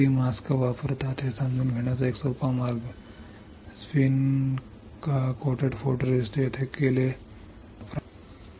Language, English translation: Marathi, An easy way of understanding how many mask are used, just understand wherever spin coating or photoresist is done you had to use a mask